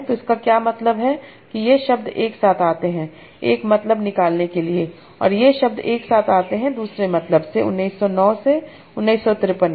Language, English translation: Hindi, So what it means is that these words come together to form one sense and these words come together to form another sense in 1991, 953